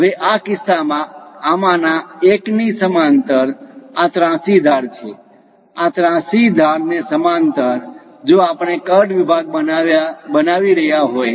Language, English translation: Gujarati, Now in this case parallel to one of this slant, this is the slant edge; parallel to this slant, if we are making a cut section